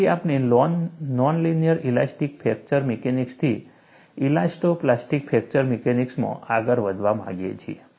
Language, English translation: Gujarati, So, we want to graduate from non linear elastic fracture mechanics to elasto plastic fracture mechanics